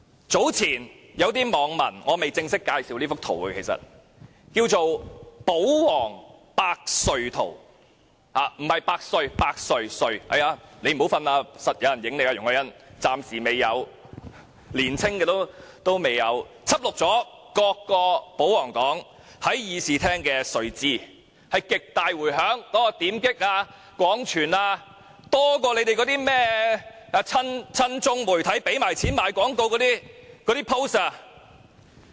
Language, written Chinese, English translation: Cantonese, 早前，有些網民製作了這幅圖，這幅圖名為"保皇百睡圖"，不是"百歲"，是"百睡"——容海恩議員不要睡覺，一定會有人拍你的；年輕的議員未睡覺——輯錄了各個保皇黨議員在會議廳的睡姿，引來極大迴響，點擊及分享的數字比親中媒體付錢賣廣告的帖子還要多。, Ms YUNG Hoi - yan do not fall asleep or you will certainly be filmed; young Members should not fall asleep . The picture depicts the sleeping postures of various royalist Members in the Chamber which triggered a great outcry . The number of clicks and shares has outnumbered the number of posts paid by pro - China media for propaganda purposes